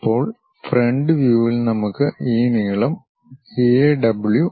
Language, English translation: Malayalam, Now in the front view we have this length A W